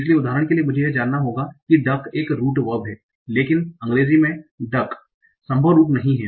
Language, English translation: Hindi, So for example, I need to know that duck is a possible root, but duck is not a possible route in English